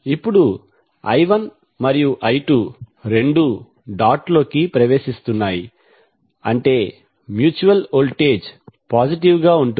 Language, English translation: Telugu, Now I 1 and I 2 are both entering the dot means the mutual voltage would be positive